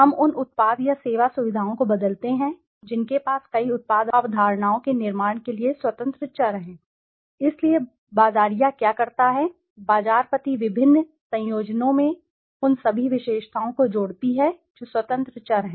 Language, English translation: Hindi, We vary the product or service features which has the independent variables to build many product concepts, so what does the marketer do, the marketer combines in different combinations all the attributes which are the independent variables